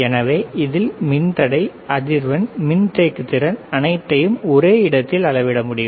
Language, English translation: Tamil, So, this is the resistance frequency, capacitance everything can be measured in the same place